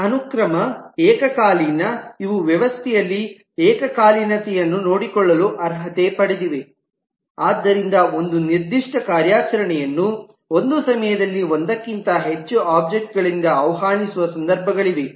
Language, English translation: Kannada, these are qualifiers to take care of concurrency in the system so that there are situations where a particular operation maybe invoked by more than one object at a time